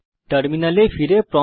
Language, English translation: Bengali, Come back to terminal